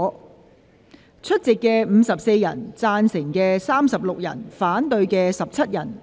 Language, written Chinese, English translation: Cantonese, 代理主席宣布有54人出席 ，36 人贊成 ，17 人反對。, THE DEPUTY PRESIDENT announced that there were 54 Members present 36 were in favour of the motion and 17 against it